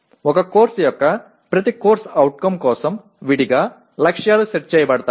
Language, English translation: Telugu, Targets are set for each CO of a course separately